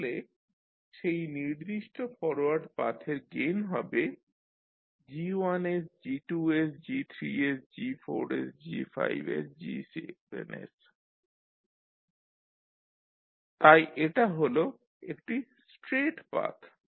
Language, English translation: Bengali, So the gain of that particular forward Path is G1s into G2s into G3s into G4s into G5s into G7s so this is one straight path